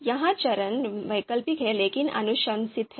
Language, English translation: Hindi, So this is the fourth step, optional but recommended